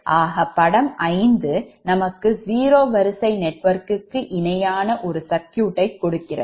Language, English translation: Tamil, so figure five again gives the equivalent zero sequence circuit connection